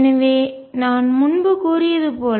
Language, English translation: Tamil, So, this as I said earlier